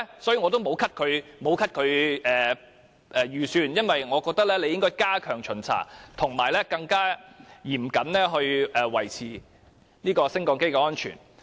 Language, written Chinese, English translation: Cantonese, 所以，我並沒有提出削減其預算，我認為機電署應該加強巡查及更嚴謹地維持升降機的安全。, So I did not propose to cut its budget . I think EMSD should step up inspections and maintain the safety of lifts in a more stringent manner